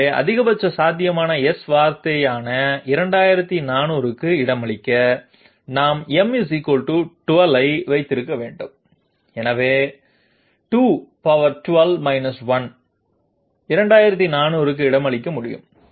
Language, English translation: Tamil, So in order to accommodate 2400, which is the maximum possible S word, we have to have m bits of sorry m = 12, so 2 to the power 12 1 will be able to accommodate 2400